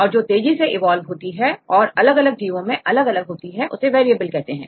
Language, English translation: Hindi, So, the ones which evolved rapidly that changes in different organisms they are called variable